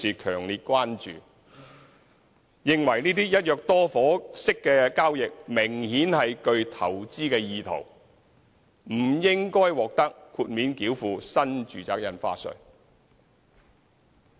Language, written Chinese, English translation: Cantonese, 他們認為，這些"一約多伙"式交易明顯具投資意圖，不應獲得豁免繳付新住宅印花稅。, They considered that such acquisitions demonstrated clear investment intent and should not be exempted from NRSD